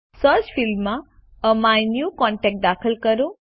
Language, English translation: Gujarati, In the Search field, enter AMyNewContact